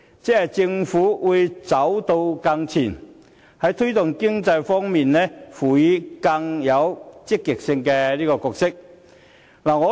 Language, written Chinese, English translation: Cantonese, 即是說，政府會走得更前，在推動經濟方面，擔當更積極的角色。, In other words the Government is going to take a step forward and play a more active role in promoting economic development